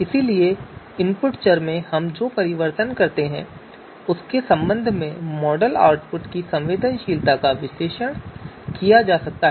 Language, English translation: Hindi, So sensitivity of the model output with respect to the changes that we do in the input variables that can be analyzed